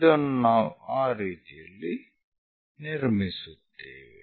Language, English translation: Kannada, So, in that way, we will construct